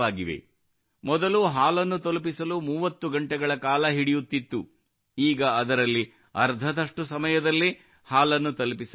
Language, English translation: Kannada, Earlier the milk which used to take 30 hours to reach is now reaching in less than half the time